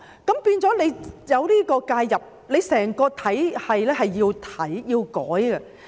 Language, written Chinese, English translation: Cantonese, 出現這種介入的時候，整個體系便要改變。, When this kind of intervention is made there should be changes to the entire system